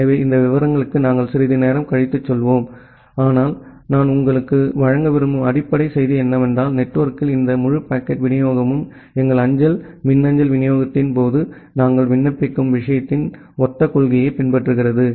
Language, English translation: Tamil, So, we will go to all these details sometime later, but the basic message that I want to give to you is that, this entire packet delivery in the network it follows the similar principle of what we apply in case of our postal email delivery